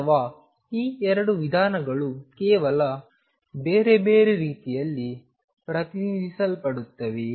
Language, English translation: Kannada, Or are these 2 approaches the same they are just represented in a different way